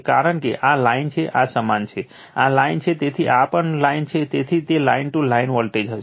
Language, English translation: Gujarati, Because, this is line this is your, this is line, so this is also line, so that will be line to line voltage right